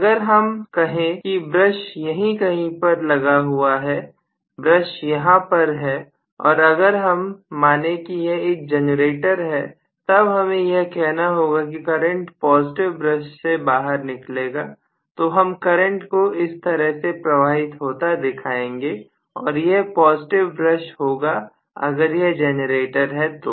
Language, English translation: Hindi, Now if I say that the brush is located somewhere here, this is where the brush is okay and if I assume it is a generator, I should say the current should flow out of the positive brush so I should show as though the current is flowing like this and this will be the positive brush if it is the generator, right